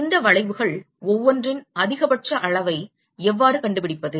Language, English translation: Tamil, How do I find maxima of each of these curve